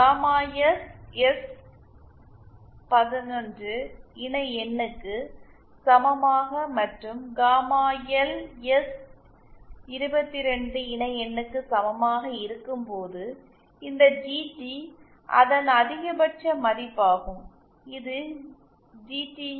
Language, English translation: Tamil, We see that when gamma S is equal to S11 conjugate and gamma L is equal to S22 conjugate then this GT which is its maximum value which I call GTU max